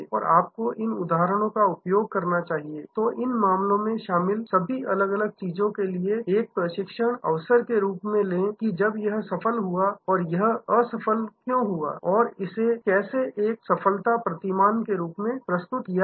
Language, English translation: Hindi, And you should use these instances, these cases as a training opportunity for all the different people involved that when it succeeded, why it failed and how it was brought back to a success paradigm